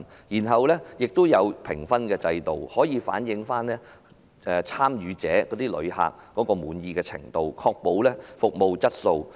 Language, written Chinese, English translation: Cantonese, 平台也設有評分制度，可以反映參與者的滿意程度，確保服務質素。, Also the platforms set up a marking scheme to reflect the level of satisfaction of participants for the purpose of ensuring service quality